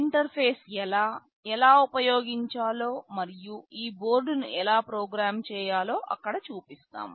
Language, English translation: Telugu, There we shall show how to interface, how to use, and how to program this board